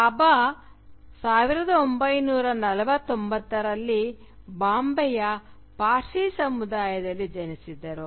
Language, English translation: Kannada, Bhabha was born in 1949 in the Parsi community of Bombay